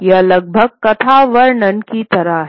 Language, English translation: Hindi, It's almost like the narrative unfolding